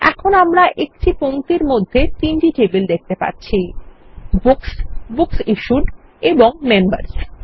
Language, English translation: Bengali, Now we see the three tables Books, Books Issued and Members in a line